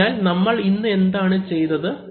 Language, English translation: Malayalam, So, what have you done today